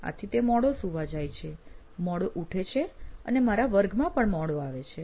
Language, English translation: Gujarati, So it’s very late that he wakes up and hence actually comes to class late